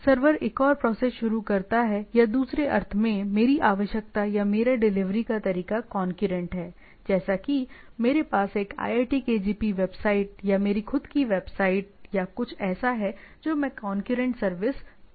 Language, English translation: Hindi, So, the server starts other process or in other sense my requirement or my way of delivery is concurrent right, like I have a say iitkgp website or my own website or something which I can serve concurrently